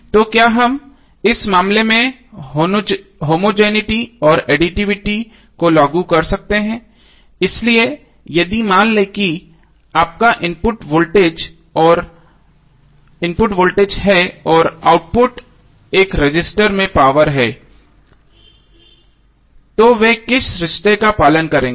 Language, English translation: Hindi, So can we apply the homogeneity and additivity in that case, so if suppose your input is voltage and output is power across a resistor, so what relationship they will follow